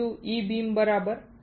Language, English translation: Gujarati, 3 E beam right